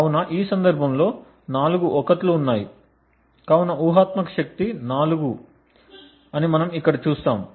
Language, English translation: Telugu, So, we see here that there are four 1s so the hypothetical power in this case is 4